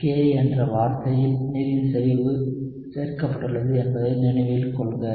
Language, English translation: Tamil, Remember the concentration of water is included in the term Ka